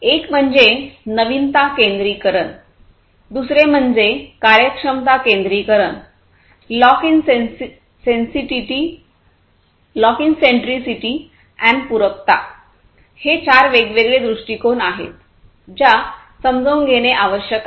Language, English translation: Marathi, One is the novelty centricity, second is the efficiency centricity, lock in centricity, and the complementarity; these are the four different perspectives four different aspects that will need to be understood